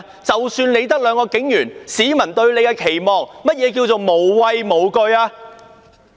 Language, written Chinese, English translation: Cantonese, 即使只有兩名警員，市民對他們也有期望，甚麼叫做"無畏無懼"？, Even if there were only two police officers at the scene members of the public had expectations of them . What does without fear mean?